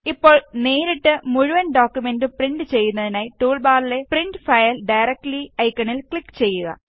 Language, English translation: Malayalam, Now, to directly print the entire document, click on the Print File Directly icon in the tool bar